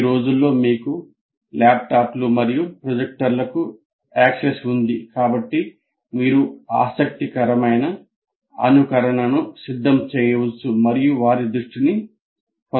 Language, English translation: Telugu, So some behavior, these days you do have access to laptops and projectors and so you can prepare a interesting simulation and get their attention